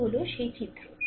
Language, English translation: Bengali, So, this is the figure